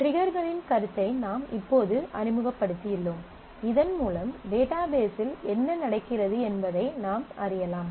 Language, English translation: Tamil, And we have just introduced concept of triggers, so that you can sniff what is going on in your database